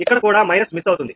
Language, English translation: Telugu, here also minus is missed